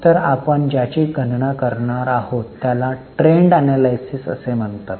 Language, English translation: Marathi, So, what we are going to calculate is known as trend analysis